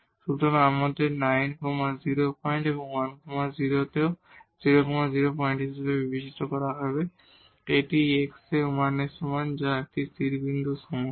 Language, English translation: Bengali, So, we have to also consider 0 0 points in 9 0 point and 1, this at x is equal to 1, which is a stationary point for this problem